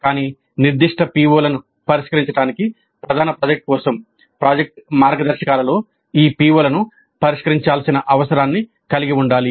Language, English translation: Telugu, But for even the main project to address specific POs, project guidelines must include the need to address these POs